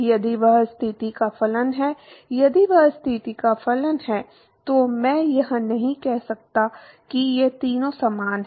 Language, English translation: Hindi, If that is a function of position, if it is a function of position, then I cannot say that these three are similar